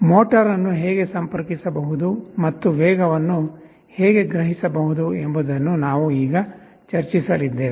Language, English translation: Kannada, We shall be discussing how motor can be interfaced and how speed can be sensed